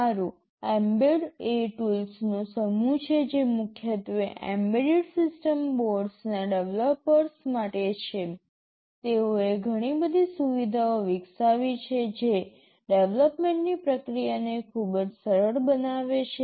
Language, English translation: Gujarati, Well, mbed is a set of tools that are primarily meant for the developers of embedded system boards; they have developed a lot of utilities that make the process of development very easy